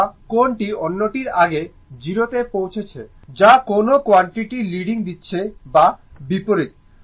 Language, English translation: Bengali, Or which one is reaching to 0 before the other one that quality leading or vice versa, right